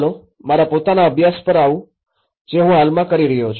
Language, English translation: Gujarati, Letís come to some of my own study which I am currently doing